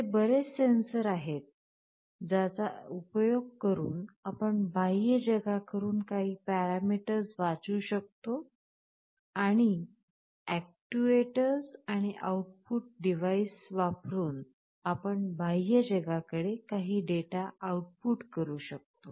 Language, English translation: Marathi, There are so many kinds of sensors, you can read some parameters from the outside world and using actuators and output devices, you can output some data to the outside world